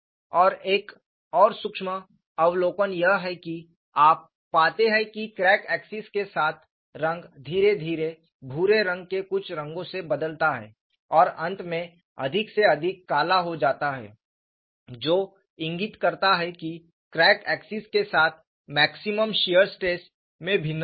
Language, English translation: Hindi, So, this is forward tilted, and another certain observation is, you find the color along the crack axis, gradually changes from some shades of gray to finally becoming more and more black, which indicates that there is a variation of maximum shear stress along the crack axes